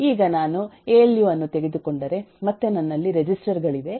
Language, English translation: Kannada, now if I take alu, then again I have registers in them